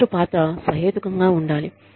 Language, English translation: Telugu, The attendance role, should be reasonable